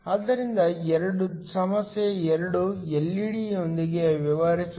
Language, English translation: Kannada, So, problem 2, essentially deals with an LED